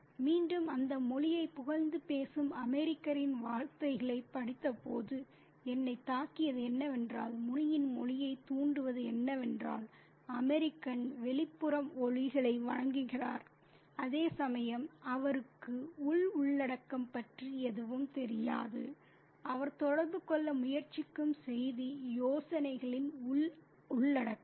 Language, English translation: Tamil, And again, what struck me when I read those words of the American praising the language, the malefulist stimulating language of Muni is that the American adores the outward sounds, whereas he has no idea about the inner content of the inner content of the ideas, the inner content of the message, the content of the message that he is trying to communicate